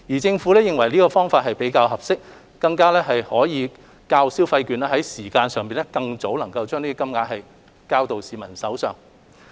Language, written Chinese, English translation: Cantonese, 政府認為這樣比較合適，較派發消費券能在時間上更早將款項交到市民手上。, The Government considers that the Scheme is a more appropriate measure and that cash payout can reach the public earlier when compared with consumption vouchers